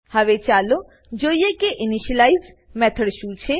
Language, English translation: Gujarati, Now let is look at what an initialize method is